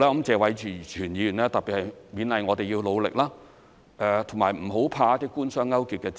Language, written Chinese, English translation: Cantonese, 謝偉銓議員特別勉勵我們要努力，不要怕一些官商勾結的指責。, Mr Tong TSE has particularly encouraged us to continue to work hard and fear not accusations of collusion between the Government and the business sector